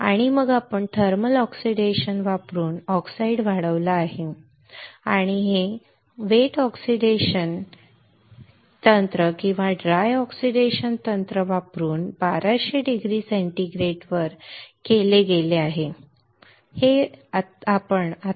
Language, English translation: Marathi, And then we have grown oxide we have grown oxide using using thermal oxidation and this was done at 1200 degree centigrade using wet oxidation technique or dry oxidation technique, right